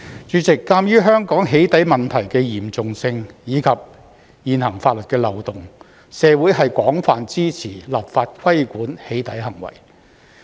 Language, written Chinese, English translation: Cantonese, 主席，鑒於香港"起底"問題的嚴重性，以及現行法律的漏洞，社會是廣泛支持立法規管"起底"行為。, President in view of the seriousness of the doxxing problem in Hong Kong and the loopholes in the existing legislation there is wide support in the community for enacting legislation to regulate doxxing